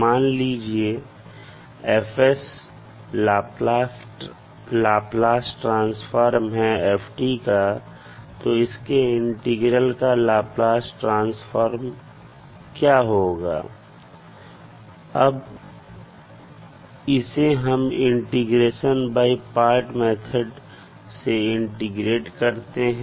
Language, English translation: Hindi, Now F of x is the Laplace transform of f t then Laplace transform of its integral, so let’ us take the function that is the now integral of f t dt